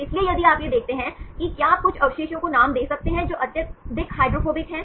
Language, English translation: Hindi, So, if you see this one can you name few residues, which are highly hydrophobic